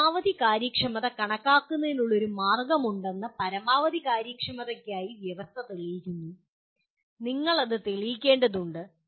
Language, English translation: Malayalam, Proving the condition for maximum efficiency that there is a method of computing maximum efficiency is presented and you have to prove that